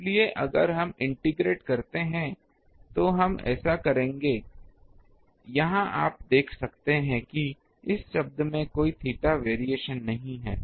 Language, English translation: Hindi, So, these if we integrate we will get um so, here you see this term is not having any theta variation all theta variation is here